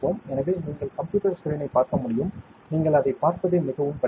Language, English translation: Tamil, So, you can see the computer screen, it is very difficult to see you can just see it